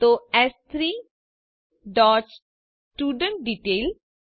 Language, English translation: Gujarati, So s3 dot studentDetail